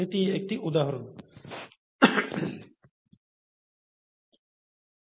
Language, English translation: Bengali, That was an example